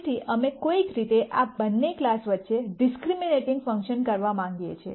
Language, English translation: Gujarati, So, we want to somehow come up with a discriminating function between these two classes